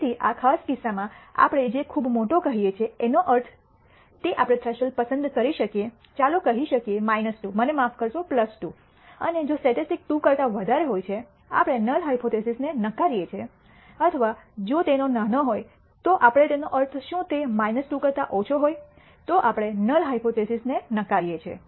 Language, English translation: Gujarati, So, in this particular case what we mean by very large we can choose a threshold let us say minus 2, I am sorry plus 2 and if the statistic is greater than 2 we reject the null hypothesis or if its small what do we mean by small if it is less than minus 2 we reject the null hypothesis